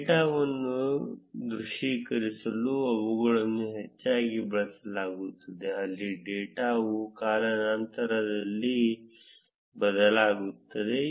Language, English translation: Kannada, They are most often used to visualize data, where the data changes over time